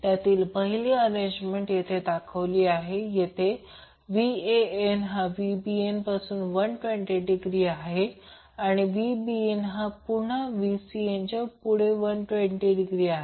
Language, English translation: Marathi, So in 1 such arrangement is shown in this slide, where Van is leading Vbn by 120 degree and Vbn is again leading Vcn and by 120 degree